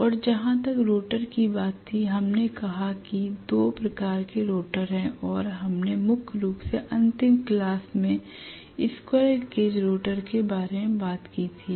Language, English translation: Hindi, And as far as the rotor was concerned, we said there are two types of rotor we talked mainly about the squirrel cage rotor in the last class